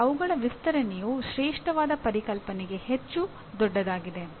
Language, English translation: Kannada, That means their extension is much larger for classical concepts